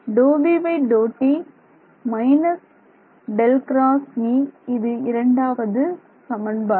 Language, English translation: Tamil, So, this is our first equation this is our second equation